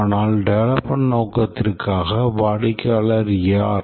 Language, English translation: Tamil, But then for development purpose, who will the customer